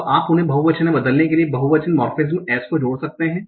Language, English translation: Hindi, You can now add a plural morphine s to convert them into plural